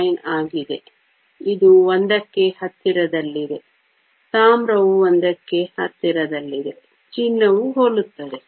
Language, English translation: Kannada, 99, which is close to 1; copper is also close to 1, gold is similar